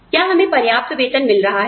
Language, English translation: Hindi, You know, are we getting paid, enough